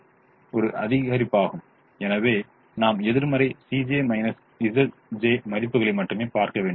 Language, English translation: Tamil, problem is a maximization, so we have to look at only the negative c